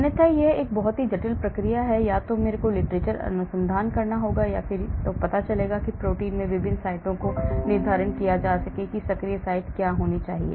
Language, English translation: Hindi, Otherwise it is a complex process, either I go to literature and find out or I look at various sites in the protein to determine what should be the active site